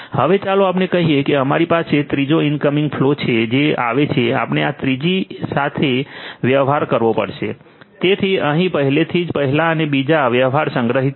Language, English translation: Gujarati, Now, let us say that you have a third incoming flow that comes this is this third one let us say that we have to deal with this third one so, first and second already dealt with stored over here